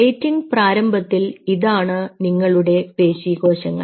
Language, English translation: Malayalam, ok, your initial plating these are muscle cells